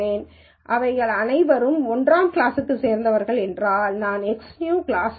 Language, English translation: Tamil, So, if all of them belong to class 1, then I say X new is class 1